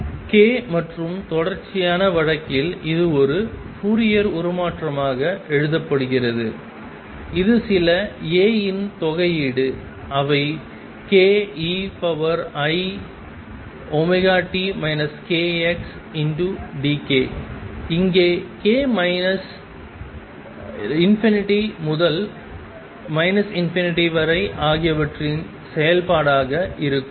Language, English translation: Tamil, K and in continuous case this is written as a Fourier transform which is integral of some a as a function of k e raise to i omega t minus k x d k, k wearing from minus infinity to infinity